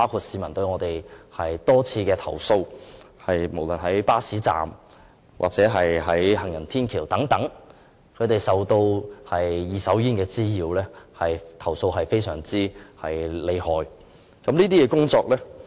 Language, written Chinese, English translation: Cantonese, 市民多次投訴，無論在巴士站或行人天橋等地方，均受到"二手煙"的滋擾，我們接獲大量這方面的投訴。, We have received a lot of complaints from members of the public claiming repeatedly that passive smoking has caused nuisances to them in such places as bus stops and footbridges